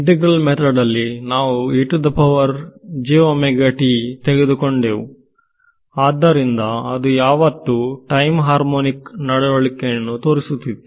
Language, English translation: Kannada, In the case of the integral methods we took e to the j omega t, so it always was having a time harmonic behavior